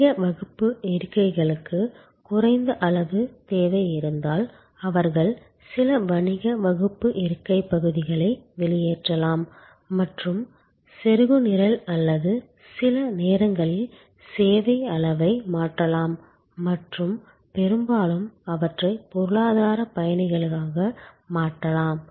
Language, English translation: Tamil, If there is a low level of demand for the business class seats, they can out some of the business class seat areas and plug in or sometimes just change the service level and often them to economy passengers